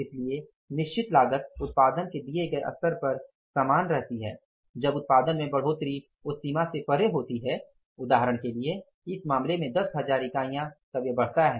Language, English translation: Hindi, So, fixed cost remains the same at the given level of production that changes beyond when the production increases beyond say for example in this case 10,000 units but the variable cost means remains same per unit it remains the same